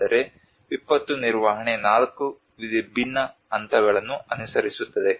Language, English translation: Kannada, Whereas the disaster management follows four different phases